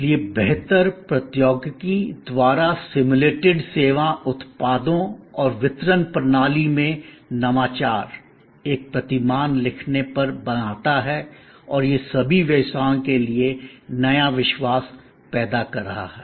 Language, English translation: Hindi, So, innovation in service products and delivery system simulated by better technology creates one over writing paradigm and that is creating the new trust for all businesses